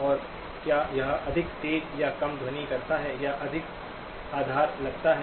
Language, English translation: Hindi, And does it sound more shrill or less or sounds more base